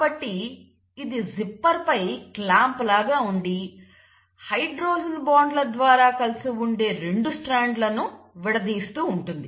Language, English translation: Telugu, So it is like the clamp on the zipper which is just unzipping the 2 strands which are held together through hydrogen bonds